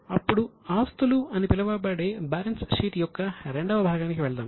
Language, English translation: Telugu, Now let us go to the second part of balance sheet that is known as assets